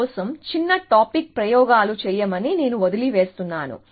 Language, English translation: Telugu, So, I will leave that the small topic experiments for you to do